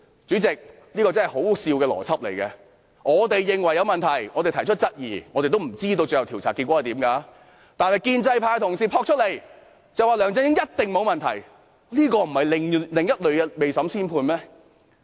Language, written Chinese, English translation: Cantonese, 主席，這個邏輯真是可笑，我們認為有問題，提出質疑，我們也不知道最後的調查結果為何，但建制派同事說梁振英一定沒有問題，這不是另類的未審先判嗎？, President this logic is ridiculous . We raise queries to support our claim that there are problems and we do not know the findings of the inquiry but pro - establishment Members insist that LEUNG Chun - ying should take no blame arent they passing a judgment before trial?